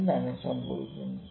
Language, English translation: Malayalam, What is happening